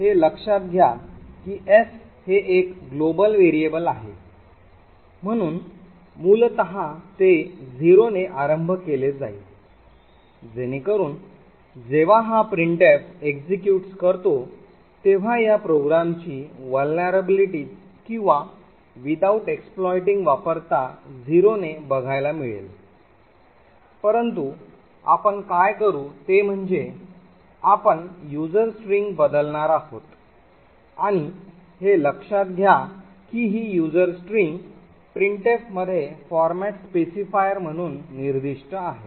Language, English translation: Marathi, So note that s is a global variable so therefore it by default would be initialized to 0 so without any vulnerabilities or without exploiting the vulnerability this program when this printf executes would print as to be equal to 0 here however what we will do is that we are going to change the user string and note that this user string is specified as a format specifier in printf